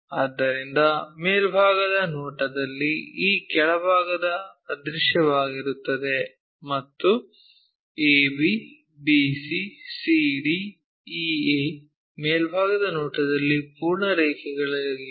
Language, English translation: Kannada, So, in the top view, this bottom one is invisible and this ab, bc, cd, ea are full lines in top view